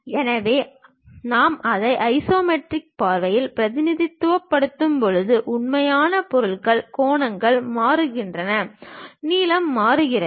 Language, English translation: Tamil, So, they true objects when we are representing it in isometric views; the angles changes, the lengths changes